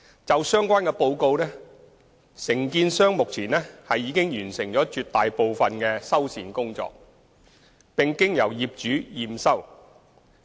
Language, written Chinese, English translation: Cantonese, 就相關報告，承建商目前已完成絕大部分的修繕工作，並經由業主驗收。, The contractor has already completed the vast majority of the repair works of the reported items which have also been inspected and accepted by the owners